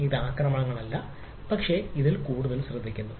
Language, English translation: Malayalam, so it is not the attacks but these are more eavesdropping